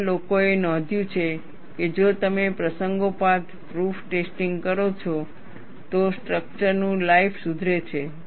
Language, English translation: Gujarati, And people have noticed, if you do proof testing occasionally, the life of the structure is improved